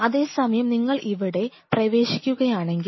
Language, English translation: Malayalam, Whereas if you are entering here